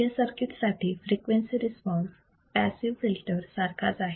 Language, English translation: Marathi, The frequency response of the circuit is the same for the passive filter